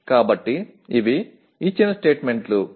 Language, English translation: Telugu, So these are the statements given